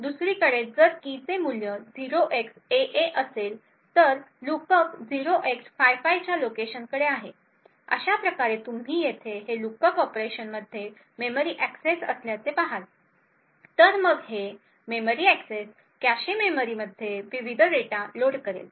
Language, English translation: Marathi, On the other hand if the key had the value 0xAA then the lookup is to a location 0x55, thus you see that this lookup operation over here is essentially a memory access, right then this memory access is going to load a different data in the cache memory